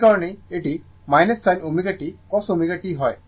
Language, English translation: Bengali, That is why, minus sin omega t cos omega t